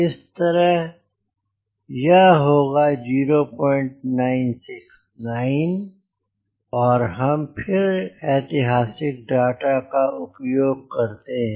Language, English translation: Hindi, so it will be point nine, six, nine, and again use the historical data